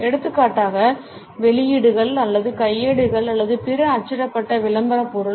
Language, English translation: Tamil, For example, the publications or handbooks or other printed publicity material